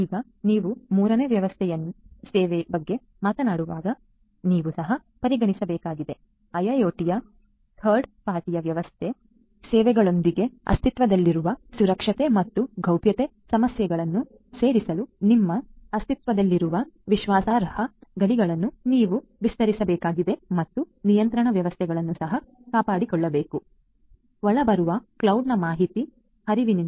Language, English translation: Kannada, Now whenever you are talking about a third party service, you also need to consider you have to extend your existing trust boundaries to include the security and privacy issues that are existing with those third party services and you also have to safeguard the control systems in your IIoT from the incoming cloud information flow